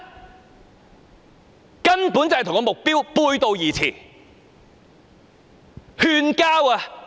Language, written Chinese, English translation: Cantonese, 這根本與目標背道而馳。, That completely runs counter to the purpose